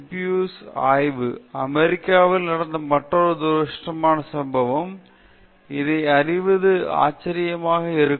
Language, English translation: Tamil, The Tuskegee syphilis study, another unfortunate incident that had happened in the United States; one will be surprised to know this